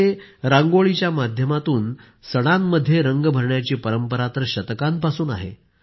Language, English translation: Marathi, For centuries, we have had a tradition of lending colours to festivals through Rangoli